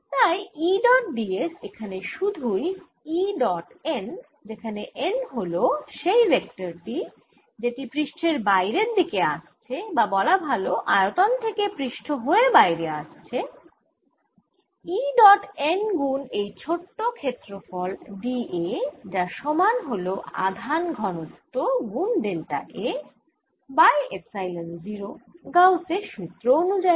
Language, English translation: Bengali, therefore e dot d s is nothing but e dot n, where n where the vector coming up out of the surface, coming out of the volume through that surface, e dot n times that small area, d, b, a, and there should be equal to charge density times delta a divided by epsilon zero, by gauss's law, and therefore e dot n is equal to sigma over epsilon zero